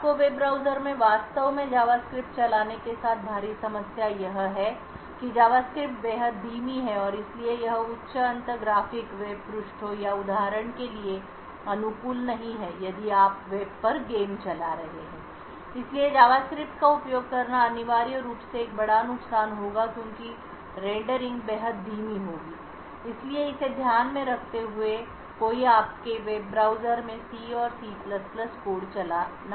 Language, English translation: Hindi, The huge problem with actually running JavaScript in your web browser is that JavaScript is extremely slow and therefore it is not suited for high end graphic web pages or for example if you are running games over the web, so using JavaScript would be essentially a huge disadvantage because the rendering would be extremely slow, so keeping this in mind one would want to run C and C++ code in your web browser